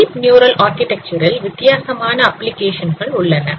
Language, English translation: Tamil, So there are different applications of this deep neural architecture